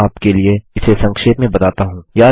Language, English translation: Hindi, Let me summarise this for you